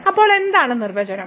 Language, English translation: Malayalam, So, what was the definition